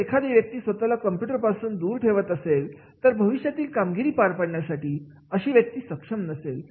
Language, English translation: Marathi, If the person keeps himself away from the use of the computer, he will not be able to perform the future jobs